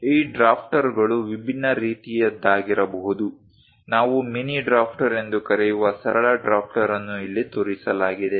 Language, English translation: Kannada, These drafters can be of different types also;, the simple drafter which we call mini drafter is shown here